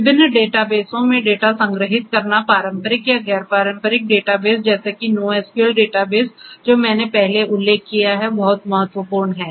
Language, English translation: Hindi, Storing the data in different databases traditional or non traditional data bases such as the NoSQL databases that I mentioned earlier is very important